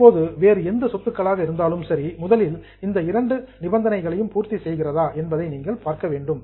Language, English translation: Tamil, Now any other asset, first of all you have to see whether it meets these two conditions